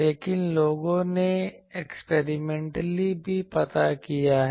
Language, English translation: Hindi, But people have found out experimentally also